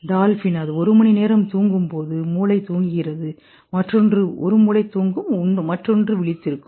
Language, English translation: Tamil, Dolphin, when it sleeps one half of the brain sleeps the other keeps awake